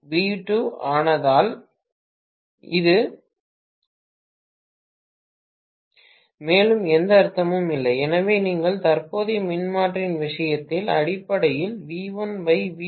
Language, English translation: Tamil, Because V2 become 0 it doesn’t make any sense further, so you are going to have basically V1 by V2 absolutely not valid in the case of a current transformer